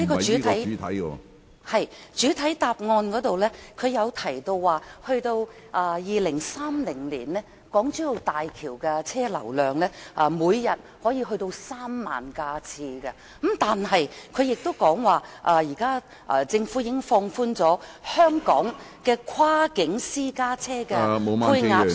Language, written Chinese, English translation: Cantonese, 是，主體答覆提到 ，2030 年港珠澳大橋的車輛流量，每天可達到3萬架次，但是，他亦說現時政府已經放寬香港的跨境私家車的配額數目......, According to the main reply the daily traffic volume of the HZMB would reach 30 000 vehicles in 2030 . However it also says that the Government has already relaxed the quota for Hong Kong cross - boundary private cars